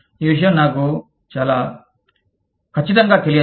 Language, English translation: Telugu, I am not very sure of this